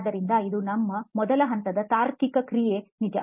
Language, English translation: Kannada, So this our first level of reasoning was true